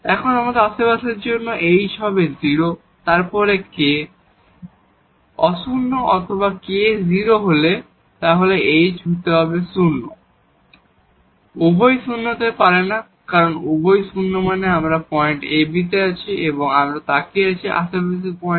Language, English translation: Bengali, Now for the neighborhood either h will be 0 then k will be non 0 or if k is 0 then h has to be non 0, both cannot be 0 because both 0 means we are at the point ab and we are looking at the neighborhood point